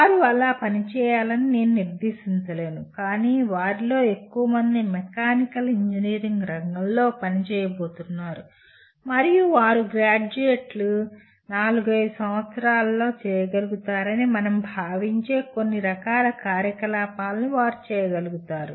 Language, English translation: Telugu, Of course I cannot legislate they have to work like that, but majority of them are going to work in the mechanical engineering field and they are able to perform certain type of activities that we consider the graduates will be able to do in four to five years after graduation